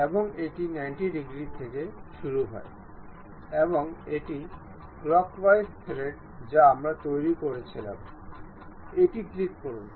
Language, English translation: Bengali, And it begins at 90 degrees, and it is a clockwise uh thread we were constructing, so click ok